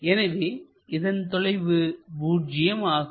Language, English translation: Tamil, So, we will have that 0 length